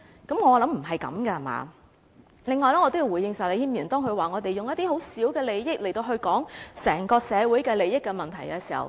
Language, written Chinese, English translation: Cantonese, 此外，我也要回應石禮謙議員，他說我們從十分微小利益的角度來討論整個社會的利益問題。, In addition I also have to respond to Mr Abraham SHEK . He said that we discuss matters related to the interests of the whole society from the angle of very narrow interests